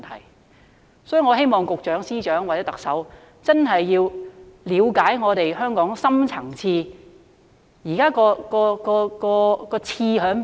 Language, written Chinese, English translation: Cantonese, 有鑒於此，我希望局長、司長或特首要真正了解香港的深層次問題。, In view of this I hope the Directors of Bureaux Secretaries of Departments and the Chief Executive will really look into the deep - rooted problems of Hong Kong